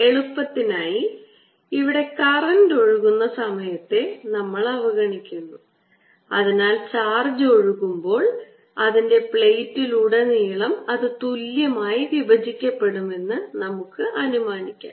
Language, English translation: Malayalam, for simplicity we'll ignore we the any, the current flowing time here, so that we'll assume as soon as the current ah the charge comes in, its splits evenly throughout the plate